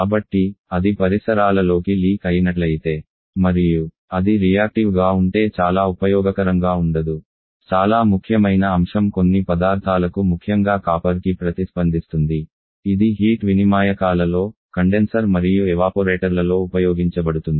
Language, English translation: Telugu, So, not very useful if it gets affecting the surrounding and it is reactive very important point is reactive to certain material respectively copper, which is used in the heat exchangers in the condenser and evaporators